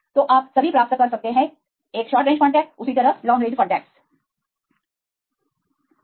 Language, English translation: Hindi, So, you can get all the; a short range contacts likewise go with medium range contacts right